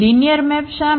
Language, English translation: Gujarati, Why linear map